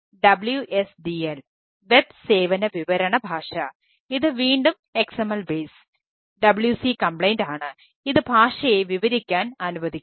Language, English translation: Malayalam, the other one is the wsdl web service description language